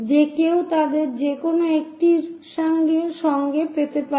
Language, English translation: Bengali, Anyone can go with any either of them